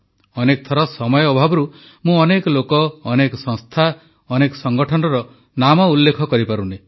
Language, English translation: Odia, Many a time, on account of paucity of time I am unable to name a lot of people, organizations and institutions